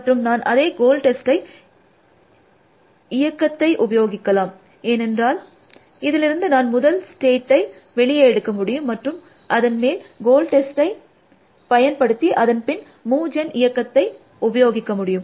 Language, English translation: Tamil, And I can use the same goal test function, because I will extract the first state from this, and apply the goal test to that, and then apply the move gen function that is essentially